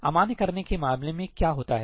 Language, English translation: Hindi, In case of invalidating, what happens